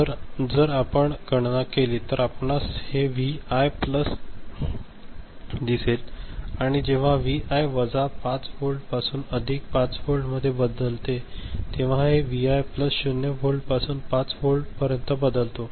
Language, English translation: Marathi, So, if you calculate, you can see this Vi plus, when Vi changes from minus 5 volt to plus 5 volt, this Vi plus changes from 0 volt to 5 volt right